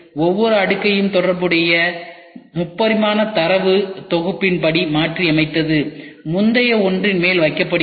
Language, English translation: Tamil, So, each layer is contoured according to the corresponding 3 dimensional data set and put on to the top of the preceding one